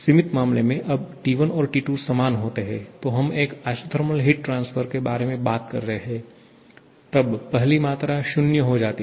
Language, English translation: Hindi, In the limiting case, when T1 and T2 are equal that is we are talking about an isothermal heat transfer, this quantity goes to 0